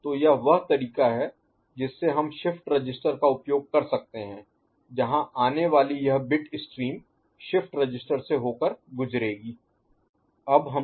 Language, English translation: Hindi, So, that is the way we can make use of this shift register where the incoming this bit stream will pass through a shift register